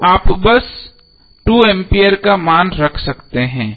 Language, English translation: Hindi, So you can simply put the value of 2 ampere